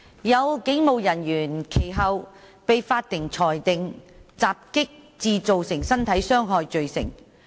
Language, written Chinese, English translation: Cantonese, 有警務人員其後被法庭裁定襲擊致造成身體傷害罪成。, Some police officers have subsequently been convicted by the court of assaulting occasioning actual bodily harm